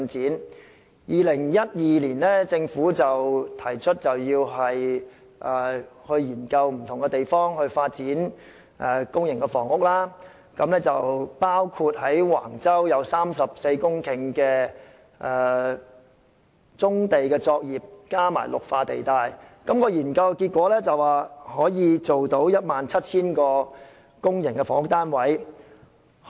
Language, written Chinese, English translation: Cantonese, 政府於2012年提出要覓地發展公營房屋，而橫洲有34公頃棕地及綠化地帶，研究結果顯示可以提供 17,000 個公營房屋單位。, The Government proposed to identify land for public housing development in 2012 . There were 34 hectares of brownfield sites and green belt areas at Wang Chau and findings of research showed that 17 000 public housing units could be provided